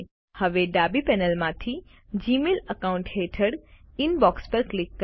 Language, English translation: Gujarati, From the left panel, under your Gmail account ID, click Inbox